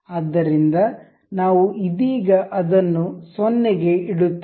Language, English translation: Kannada, So, we will keep it 0 for now